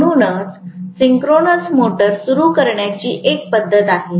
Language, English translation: Marathi, So this is one of the methods of starting the synchronous motor